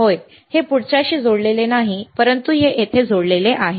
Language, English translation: Marathi, Yeah, this one is not connected with the next one, but this one, this one is connected to here